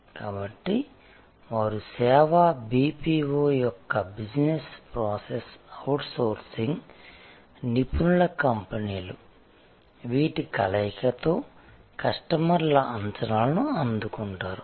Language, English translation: Telugu, So, they will be service BPO's Business Process Outsourcing expert companies put together in a seamless combination will meet this customers array of expectation